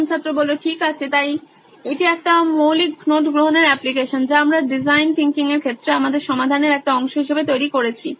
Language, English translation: Bengali, Okay so this is a basic note taking application we have developed as a part of our solution in design thinking